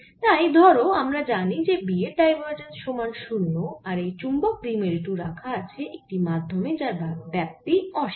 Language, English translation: Bengali, so suppose we know that divergence of b equal to zero and this magnetic dipole is of infinite extent